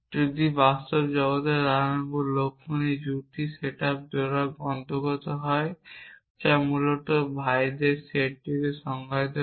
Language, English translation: Bengali, If in the real world ram and laxman the pair belongs to the set up pairs which define the set of brothers essentially